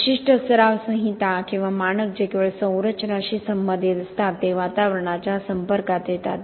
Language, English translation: Marathi, Specific code of practice or standard that only deals with structures are exposed to the atmosphere